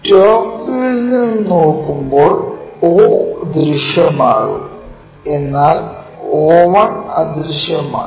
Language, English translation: Malayalam, So, when we are looking at this in the top view, o will be visible o one will be invisible